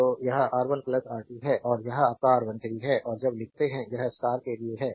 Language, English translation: Hindi, So, it is R 1 plus R 2 right R 1 and R 2 this is your R 1 3; and when you write, this is for star